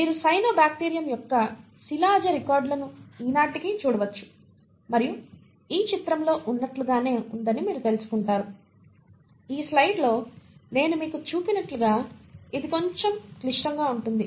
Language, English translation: Telugu, You have fossil records of cyanobacterium which are seen even today and you find as in this picture, as I show you in this slide, it is a little more complex